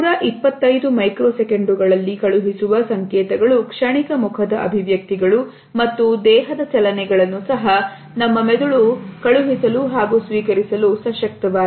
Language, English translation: Kannada, The signals which are sent in 125 microseconds, the fleeting facial expressions and body movements can also be registered by our brain